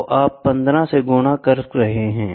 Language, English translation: Hindi, So, you are multiplying with 15, right